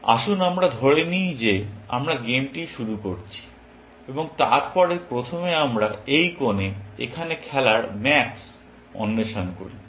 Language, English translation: Bengali, Let us say we are starting the game from the beginning, and then, first we explore max, playing at this corner, here